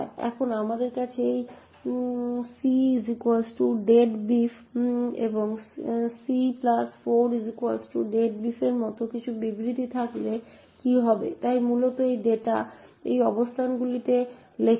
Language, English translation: Bengali, Now what would happen if we have statements such as this *c=deadbeef and *(c+4) = deadbeef, so essentially this data gets written into these locations